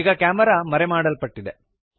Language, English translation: Kannada, The camera is now hidden